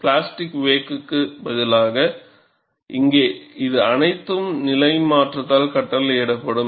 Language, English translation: Tamil, Instead of the plastic wake, here it would all be dictated by the phase transformation